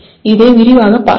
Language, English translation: Tamil, Let us quickly go through this